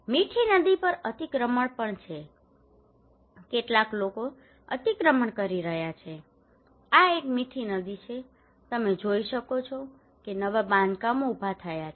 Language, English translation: Gujarati, There is also an encroachment by on Mithi river some people are encroaching, this is a Mithi river you can see that new constructions arouses